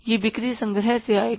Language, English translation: Hindi, That will come from the sales collections